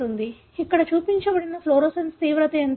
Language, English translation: Telugu, So, what is shown here is the fluorescence intensity